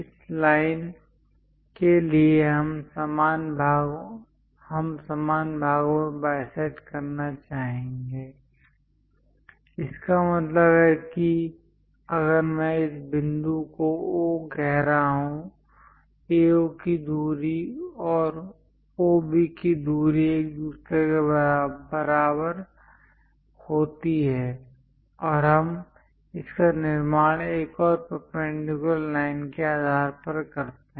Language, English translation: Hindi, For this line, we would like to bisect into equal parts; that means if I am calling this point as O; AO distance and OB distance are equal to each other and that we construct it based on another perpendicular line